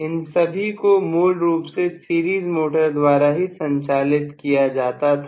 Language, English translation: Hindi, All of them had been originally driven only by a series motor